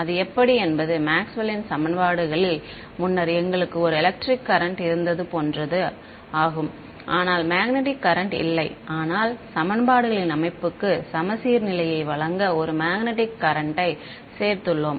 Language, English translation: Tamil, It is just like how in Maxwell’s equations earlier we had an electric current, but no magnetic current right, but we added a magnetic current to give symmetry to the system of equations